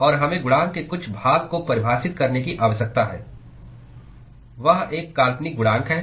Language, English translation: Hindi, And we need to define some part of a coefficient that is a fictitious coefficient